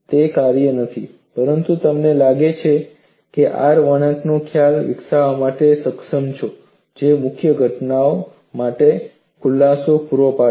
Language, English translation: Gujarati, After doing that, you find you are able to develop the concept of R curve which provided explanations for difficult phenomena